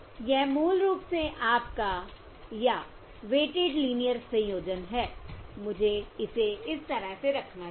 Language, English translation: Hindi, This is basically your, or weighted linear combination